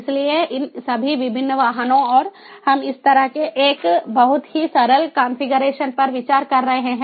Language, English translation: Hindi, so all these different vehicles, and we are considering a very simple configuration like this